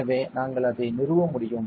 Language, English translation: Tamil, So, we you can just installed it